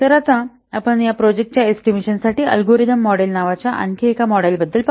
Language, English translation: Marathi, Then as also we have also discussed the algorithmic model or the parameter model for project estimation